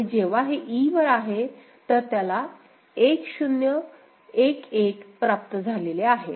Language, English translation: Marathi, Now, when it is at e, it can receive a 0 or 1